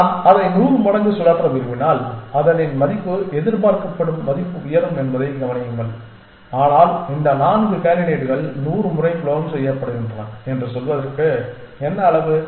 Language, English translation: Tamil, Notice that if I want to spin it 100 times its value would expected value would go up, but that what amount to saying that these 4 candidates are being clone 100 times